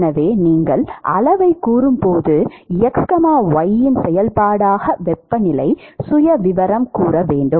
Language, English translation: Tamil, So, when you say quantify, you need the temperature profile as a function of x, y